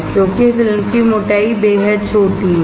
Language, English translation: Hindi, Because the thickness of the film is extremely small